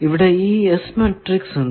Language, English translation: Malayalam, Now, come to the T matrix